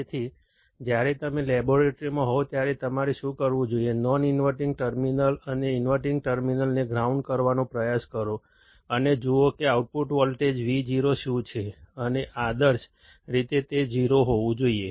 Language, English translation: Gujarati, So, what you would should do when you are in the laboratory is, try to ground the non inverting terminal and the inverting terminal, and see what is the output voltage Vo, and ideally it should be 0